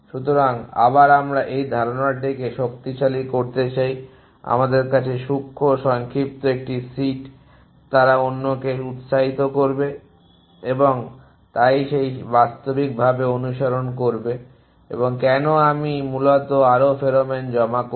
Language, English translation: Bengali, So, again we want reinforce the idea that an sit of fine shorter to us they will encourage other and so follow that real essentially and that why I will do deposit more pheromone essentially